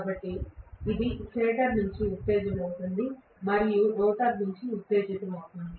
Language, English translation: Telugu, So it is excited from the stator as well as excited from the rotor